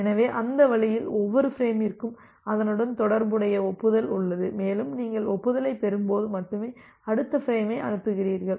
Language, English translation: Tamil, So, that way every frame has an acknowledgement associated with it and only when you receive the acknowledgement you transmit the next frame